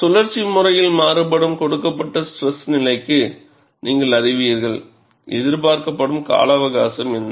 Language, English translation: Tamil, You will know for a given stress level which is cyclically varying, what is the expected life